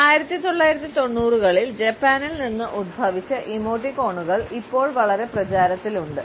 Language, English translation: Malayalam, Emoticons originated in Japan in 1990s and have become very popular now